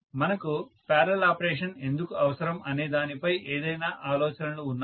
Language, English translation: Telugu, So, any thoughts on why do we need parallel operation